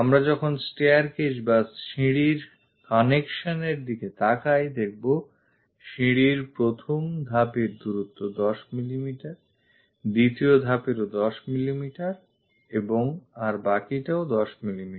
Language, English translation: Bengali, When we are looking at this staircase connection, the first stair is at 10 mm distance, the second stair also at 10 mm and the rest is also at 10 mm